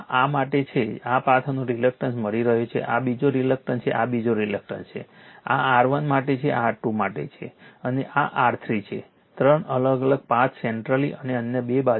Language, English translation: Gujarati, It is this is for this path you are getting reactance of this is another reactance, this is another reluctance, this is for R 1, this is R 2 and this is R 3, 3 different path right centrally and other two sides